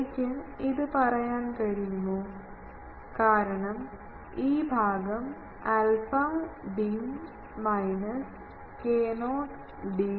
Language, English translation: Malayalam, Can I say this, because then this part will go alpha d minus k not d